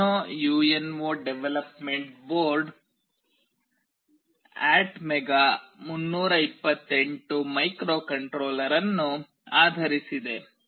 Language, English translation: Kannada, The Arduino UNO development board is based on ATmega 328 microcontroller